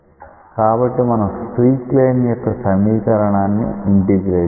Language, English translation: Telugu, So, when we integrate this one say we integrate the equation of the streak line